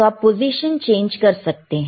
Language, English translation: Hindi, So, you can change the position, you see